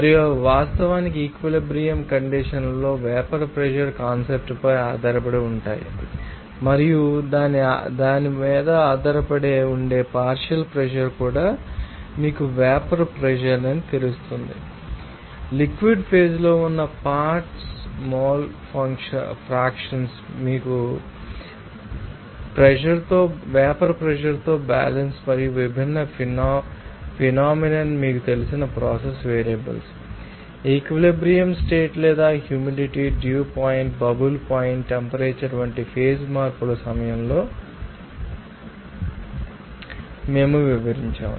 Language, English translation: Telugu, And those are actually based on the, you know, vapor pressure concept at equilibrium conditions and also the partial pressure which is depending on that, you know vapor pressure as well as you know that mole fractions of the components in the liquid phase which are in equilibrium with the vapor pace and also we have described that different phenomena of you know that process variables for this you know, equilibrium condition or during the phase change like humidity, dew point, even bubbled point temperature